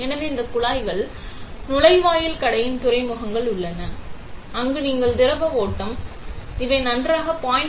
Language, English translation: Tamil, So, these pipes are the ports for inlet outlet, where you flow the liquid; these are varies fine 0